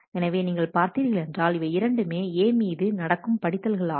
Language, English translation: Tamil, So, we see that these are the reads that are happening on A